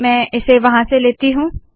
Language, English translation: Hindi, Let me bring it from there